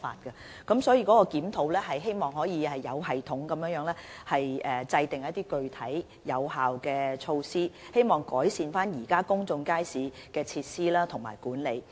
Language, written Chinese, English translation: Cantonese, 因此，檢討旨在有系統地制訂一些具體、有效的措施，以改善現時公眾街市的設施和管理。, Hence the purpose of the review is to formulate certain concrete and effective measures in a systematic manner with a view to enhancing the facilities and management of existing public markets